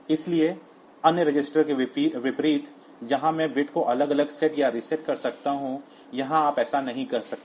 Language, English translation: Hindi, So, unlike other registers where I can set this set reset the this bits individually, here you cannot do that